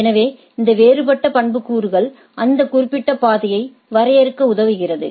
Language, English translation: Tamil, So, this is different set of attributes helps in defining that particular path right